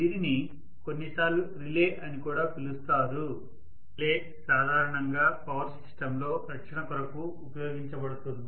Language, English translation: Telugu, This is also sometimes called as a relay; a relay typically is used for some protective features in a power system